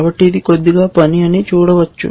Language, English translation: Telugu, So, you can see it is a little bit of work